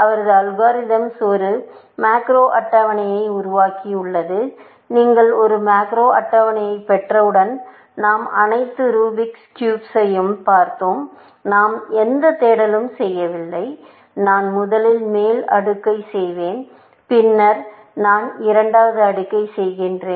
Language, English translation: Tamil, His algorithm actually, built a macro table, which of course, once you have a macro table like, we saw all the Rubic cubes and we do not do any search; we say, ok, I will do the top layer first; then, I do the second layer and then, I will do the third layer